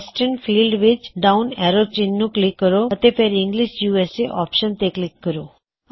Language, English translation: Punjabi, So click on the down arrow in the Western field and click on the English USA option